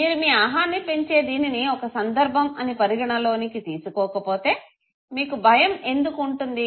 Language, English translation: Telugu, If you do not consider this to be a situation that can boost your ego, why will you have fright